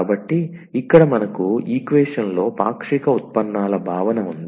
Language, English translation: Telugu, So, here we have the notion of the partial derivates in the equation